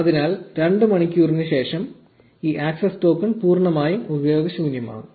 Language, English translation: Malayalam, So, after 2 hours, this access token becomes totally useless